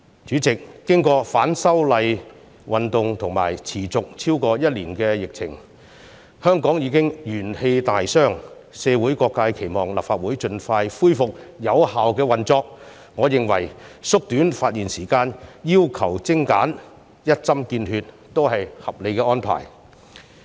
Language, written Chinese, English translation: Cantonese, 主席，經過反修例運動和持續超過1年的疫情，香港已經元氣大傷，社會各界期望立法會盡快恢復有效的運作，我認為縮短發言時間，要求精簡、一針見血也是合理的安排。, President after the movement of opposition to the relevant proposed legislative amendments and the pandemic which has lasted for more than one year Hong Kongs vitality has been severely depleted . All sectors in society expect the Legislative Council to restore its effective operation as soon as possible . I consider shortening the speaking time and making a more precise and get - to - the - point speech is reasonable